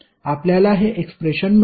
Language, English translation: Marathi, You will get this expression